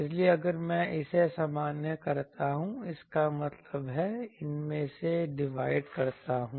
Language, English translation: Hindi, So, if I normalize this; that means, I divide by these